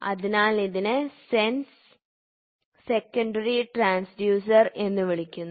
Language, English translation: Malayalam, Hence, it is called as sense secondary transducer